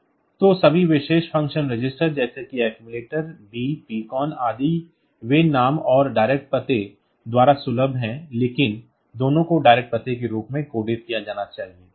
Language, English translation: Hindi, So, all special function registers like accumulator B, PCON etcetera; they are accessible by name and direct axis, but both of them must be coded in as direct address